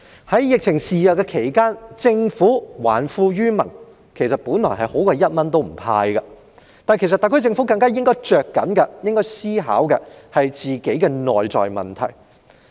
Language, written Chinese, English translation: Cantonese, 在疫情肆虐期間，政府還富於民本來已較不"派錢"好，但特區政府更應着緊思考本身的內在問題。, At a time when the epidemic is rampant the Governments return of wealth to the people is supposedly better than not handing out money but it would be even better if the SAR Government gives more thoughts to solving its internal problems